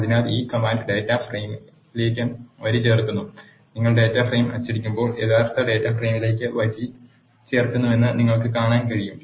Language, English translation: Malayalam, So, this command adds the row to the data frame and when you print the data frame you can see that row has been added to the original data frame